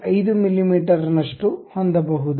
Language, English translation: Kannada, 5 mm we are giving